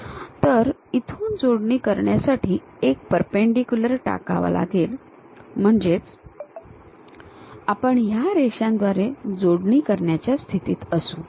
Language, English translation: Marathi, So, from here drop a perpendicular to connect it so that, we will be in a position to join these by lines